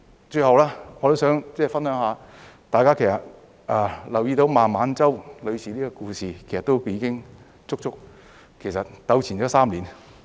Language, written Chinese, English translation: Cantonese, 最後，我還想分享，大家其實也留意到孟晚舟女士的故事，已足足糾纏了3年。, Lastly I would also like to share the story about Ms MENG Wanzhou which has smouldered for a good three years as all of us have actually noted